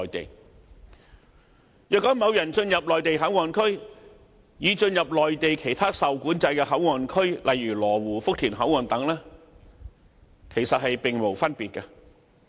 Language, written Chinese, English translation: Cantonese, 進入西九龍站的內地口岸區，與進入內地其他受管制的口岸區，例如羅湖福田口岸等，其實並無分別。, There is no practical difference between a person entering MPA of WKS and a person entering other restricted port areas in the Mainland